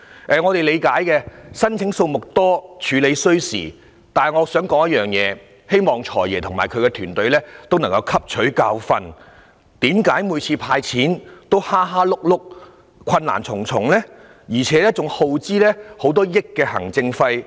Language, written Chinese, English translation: Cantonese, 我們理解申請數目多，處理需時，但我想指出一點，希望"財爺"及其團隊可以汲取教訓，就是為何每次"派錢"也如此"蝦碌"，困難重重，而且更要花費上億元行政費用？, While we understand that it takes time to process the many applications I still would like to raise one point in the hope that the Financial Secretary and his team can learn from experience . Why is it that each time the Government hands out cash the arrangements are so messy and cumbersome and hundreds of millions of dollars are spent as administration cost?